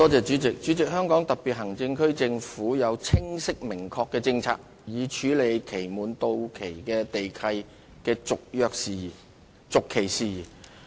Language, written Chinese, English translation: Cantonese, 主席，香港特別行政區政府有清晰明確的政策以處理期滿地契的續期事宜。, President the Hong Kong Special Administrative Region HKSAR Government has clear and definite policy for handling matters related to the extension of land leases upon expiry